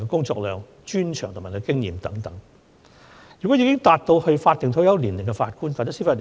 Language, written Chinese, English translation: Cantonese, 這次的議題是關於法定退休年齡及法官的退休安排。, The question of this debate concerns the statutory retirement ages and retirement arrangements of Judges